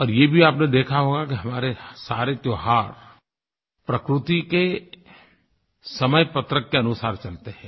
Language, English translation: Hindi, You would have noticed, that all our festivals follow the almanac of nature